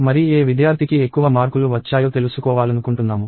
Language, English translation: Telugu, And I want to find out which student got the highest mark